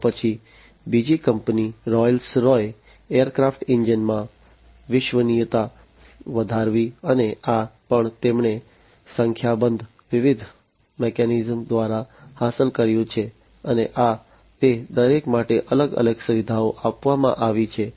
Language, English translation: Gujarati, Then another company Rolls Royce increased reliability in aircraft engines, and this also they have achieved through a number of different mechanisms, and these are the different features that have been given for each of them